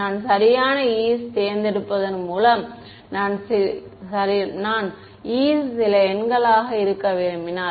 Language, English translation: Tamil, By choosing my e’s appropriately, if I chose e’s to be some numbers